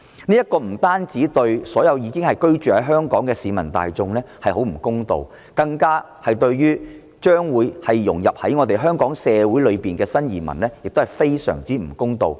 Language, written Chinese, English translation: Cantonese, 這不單對所有居住在香港的市民大眾不公道，更加對將會融入香港社會的新移民非常不公道。, Not only is this unfair to all the people living in Hong Kong but is even more unfair to the new arrivals who are about to integrate into the Hong Kong society